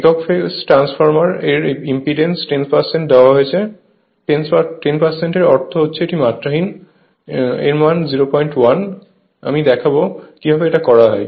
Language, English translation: Bengali, Single phase transformer has 10 percent impedance, 10 percent means it is dimensionless; that means 0